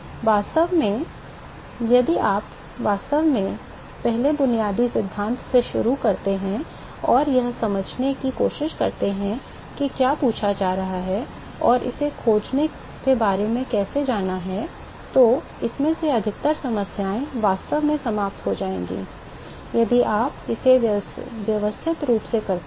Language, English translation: Hindi, So, really if you start from really basic first principle and try to understand what is being asked and how to go about finding it, most of these problems will actually fall out if you do it systematically